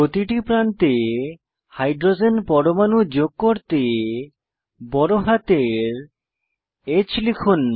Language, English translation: Bengali, To attach Hydrogen atoms to the ends, Press capital H